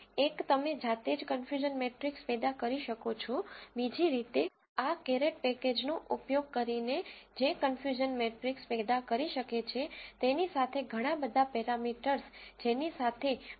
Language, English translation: Gujarati, One you can generate the confusion matrix manually, the other way is to use this caret package which can generate confusion matrix and along with it lot of other parameters what Prof